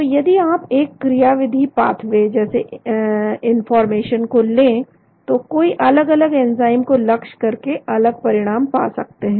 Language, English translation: Hindi, So if you take a mechanistic pathway like inflammation, one could target different enzymes to achieve different scenarios